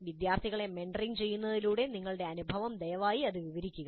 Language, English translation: Malayalam, So your experience in mentoring students, please describe that